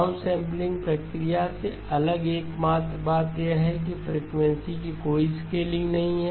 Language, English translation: Hindi, The only thing different from a down sampling process is that there is no scaling of frequency